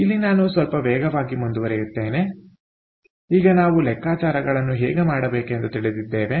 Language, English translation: Kannada, so here i move a little fast now that we know how to do things